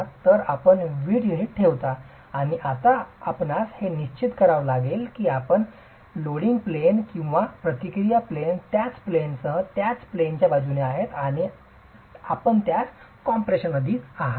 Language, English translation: Marathi, So, you place the brick unit and now you have to ensure that your loading plane and reaction plane are along the same line, along the same plane and you are subjecting into compression